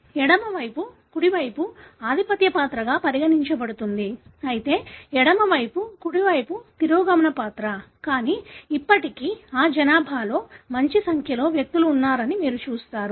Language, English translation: Telugu, The left over right is considered to be a dominant character, whereas the right over left is a recessive character, but still you see there are a good number of individuals in that population, who have this you know, character